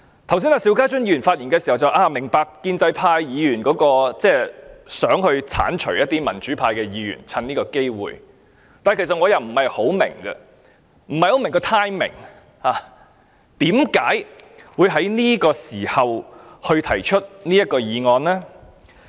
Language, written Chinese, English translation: Cantonese, 邵家臻議員剛才發言時提到，他明白建制派議員想藉此機會剷除民主派議員，但我其實不太明白，我不太明白當中的 timing， 為何他們會在這個時候提出這項議案？, Mr SHIU Ka - chun said just now that he understood why pro - establishment Members wished to take this opportunity to remove democratic Members . However I cannot quite figure out the timing . Why do they choose this time to move this motion?